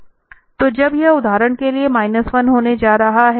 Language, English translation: Hindi, So, when this is going to be minus 1 for instance